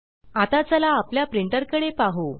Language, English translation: Marathi, Now, lets have a look at our printer